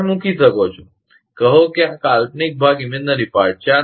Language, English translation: Gujarati, You can put, say this is imaginary part